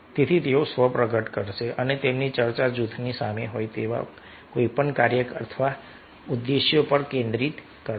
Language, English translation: Gujarati, so they will have self disclosure and will also focus their talk on any task or objectives the group has in front of it